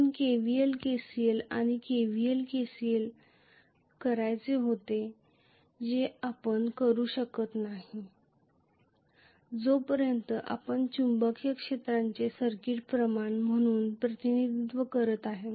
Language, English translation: Marathi, We wanted to do KVL, KCL and KVL, KCL you cannot do you unless you represent the magnetic field also as a circuit quantity